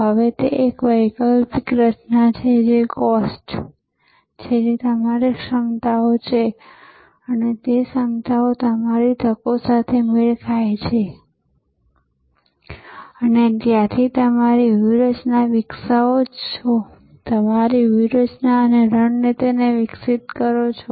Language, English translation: Gujarati, Now, there is an alternative formulation which is COST that is what are your capabilities and match those capabilities to your opportunities and from there you devolve your strategy and your tactics, evolve your strategy and tactics